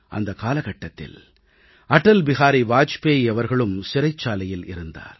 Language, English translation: Tamil, Atal Bihari Vajpayee ji was also in jail at that time